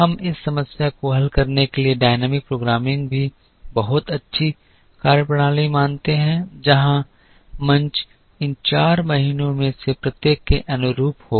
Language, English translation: Hindi, We also observe the dynamic programming is also a very good methodology to solve this problem, where the stage will correspond to each of these four months